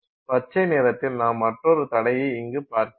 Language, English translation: Tamil, So, in green I'll put another barrier